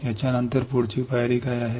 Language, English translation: Marathi, What is the next step next step